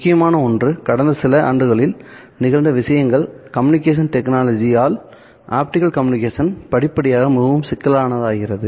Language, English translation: Tamil, Now, as we saw, one of the things that has happened over the last few years is that the communication technology for optical communication has progressively become more complex